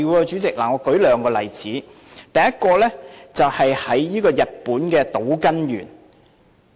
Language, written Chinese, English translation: Cantonese, 主席，我舉兩個例子，第一個是日本島根縣。, President I will quote two examples . The first example is in Shimane Prefecture of Japan